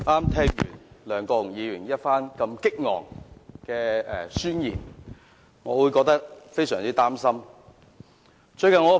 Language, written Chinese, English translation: Cantonese, 剛聽了梁國雄議員激昂的宣言，我感到非常擔心。, After listening to Mr LEUNG Kwok - hungs eloquent and impassioned manifesto I am really worried